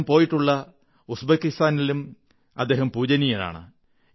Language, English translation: Malayalam, He is revered in Uzbekistan too, which he had visited